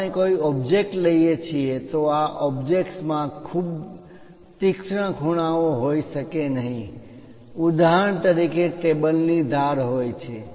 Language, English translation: Gujarati, If we are taking any objects, these objects may not have very sharp corners something like if we have for example, I would like to have a table edge